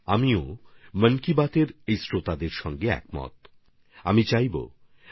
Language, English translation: Bengali, I too agree with this view of these listeners of 'Mann Ki Baat'